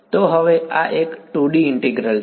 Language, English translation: Gujarati, So now, this is a 2D integral